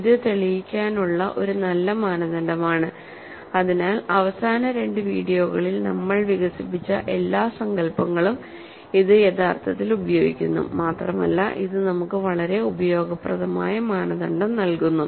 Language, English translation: Malayalam, So, this is a good criterion to prove, so that it actually uses all the notions that we developed in the last couple of videos and it gives us a very useful criterion